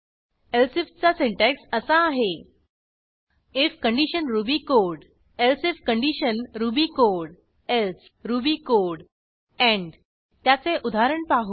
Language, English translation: Marathi, The syntax for using elsif is: if condition ruby code elsif condition ruby code else ruby code end Let us look at an example